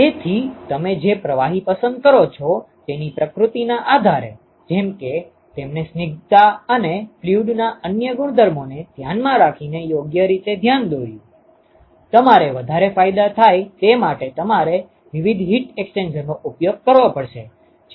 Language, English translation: Gujarati, So, depending upon the nature of the fluid that you choose, as he rightly pointed out depending upon the viscosity and other properties of the fluid, you will have to use different heat exchanger in order to maximize the benefit that you would get in terms of saving energy and also getting maximum heat transport